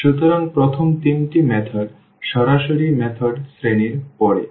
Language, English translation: Bengali, So, the first three methods falls into the category of the direct methods